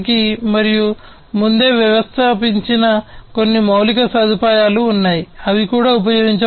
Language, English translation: Telugu, And there is some pre installed infrastructure that could also be used